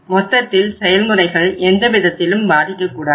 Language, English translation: Tamil, The overall operation should not get affected